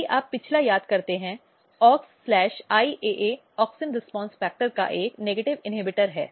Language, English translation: Hindi, So, Aux IAA is basically negative regulator of auxin response factor